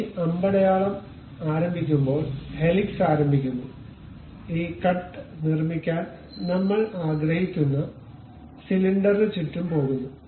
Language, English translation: Malayalam, So, helix begins at starting of this arrow, goes around the cylinder around which we want to construct this cut